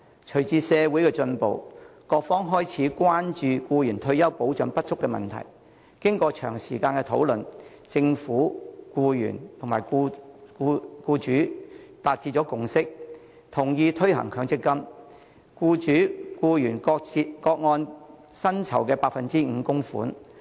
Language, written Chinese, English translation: Cantonese, 隨着社會進步，各方開始關注僱員退休保障不足的問題，經過長時間討論，政府、僱主及僱員達致共識，同意推行強制性公積金計劃，僱主和僱員各按薪酬 5% 供款。, Following social advancement various parties began to show concern for the lack of retirement protection for employees . After a long period of discussion the Government employers and employees eventually reached a consensus on the implementation of the Mandatory Provident Fund MPF System under which employers and employees would each make an 5 % contribution on basis of the latters income